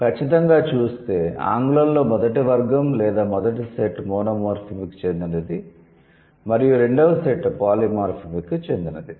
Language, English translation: Telugu, So, for sure in English, the first category or the first set belongs to monomorphic and the second set belongs to the polymorphic word